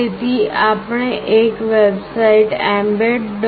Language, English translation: Gujarati, So, what we do is that we go to a website mbed